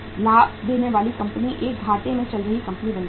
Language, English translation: Hindi, The profitmaking company will become a lossmaking company